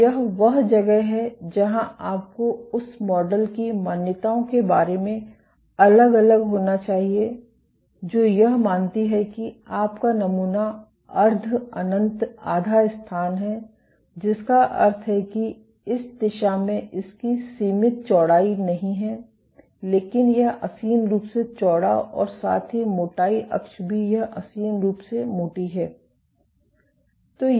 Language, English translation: Hindi, So, this is where you have to be vary about the assumptions of the model that which assumed that your sample is the semi infinite half space, which means that it does not have finite width in this direction, but it is infinitely wide and along the thickness axis also it is infinitely thick